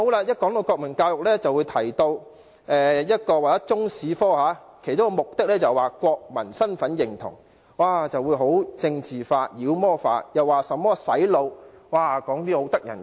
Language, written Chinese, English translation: Cantonese, 一扯到國民教育，他們便會說中史科其中一個教學目的是國民身份認同，頓時將問題政治化、妖魔化，說甚麼"洗腦"之類可怕的事情。, As I said once the issue of national education is raised some Members would say that one of the objectives of teaching Chinese history is to enhance students sense of national identity . They would immediately politicize or demonize the matter labelling it as something terrible like brainwashing